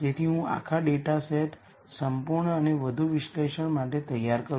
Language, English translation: Gujarati, So that I make the whole dataset complete and ready for further analysis